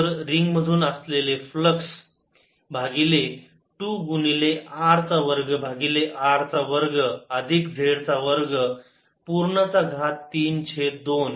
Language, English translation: Marathi, so flux through the ring divided by two times r square over r square, plus z square, raise to three by two